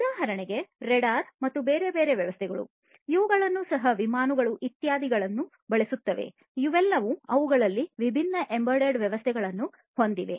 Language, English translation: Kannada, For example, the radar and different other you know systems that are used even the aircrafts etcetera; they are all having different embedded systems in them